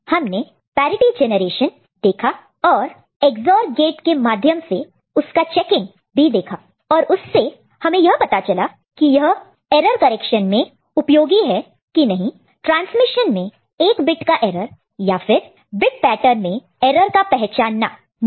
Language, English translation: Hindi, And we also looked at parity generation and checking using Ex OR gate, and we found it is useful for correcting or not correcting detecting one bit error in the transmission or in the bit pattern